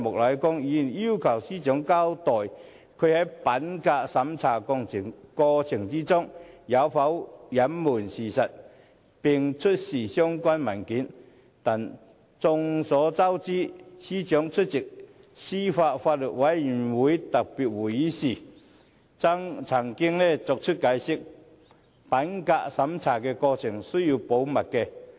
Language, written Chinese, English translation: Cantonese, 他要求司長交代她在品格審查過程中有否隱瞞事實，並出示相關文件，但眾所周知，司長早前出席司法及法律事務委員會特別會議時亦曾解釋指，品格審查的過程需要保密。, He requested the Secretary for Justice to explain whether she has concealed any facts in the process of integrity check and to produce the relevant documents but as we all know when attending a special meeting of the Panel on Administration of Justice and Legal Services earlier the Secretary for Justice already explained that the process of integrity check should be kept confidential